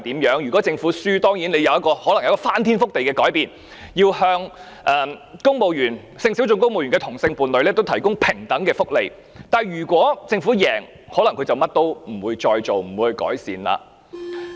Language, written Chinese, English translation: Cantonese, 如果政府敗訴，它可能有一個翻天覆地的改變，要向性小眾公務員的同性伴侶提供平等的福利，但如果政府勝訴，它可能甚麼也不會再做，不會改善。, If the Government loses the case it may undergo earth - shaking changes to provide equal benefits to same - sex partners of civil servants in sexual minorities but if the Government wins the case it may no longer do anything to improve the situation